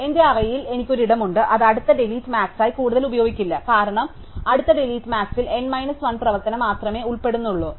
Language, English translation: Malayalam, So, I have a place in my array, which is not being used any more for the next delete max because the next delete max involves only n minus 1 operation